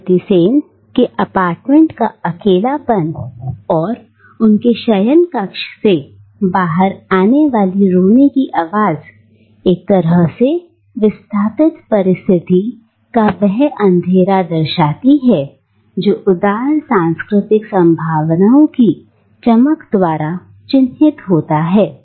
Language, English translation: Hindi, The isolation of Mrs Sen’s apartment and the sound of sobbing that comes out of her bedroom thus forms the dark underside of the diasporic condition which is otherwise marked by the luminosity of eclectic cultural possibilities